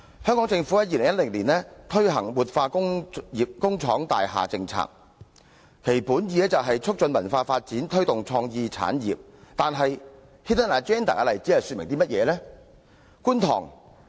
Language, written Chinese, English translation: Cantonese, 香港政府於2010年推行活化工廠大廈政策，其本意為"促進文化發展，推動創意產業"，但 Hidden Agenda 的例子又說明了甚麼呢？, The Government of Hong Kong introduced the policy on revitalization of industrial buildings in 2010 with the intention of fostering cultural development and promoting creative industries but what has the example of Hidden Agenda illustrated to us?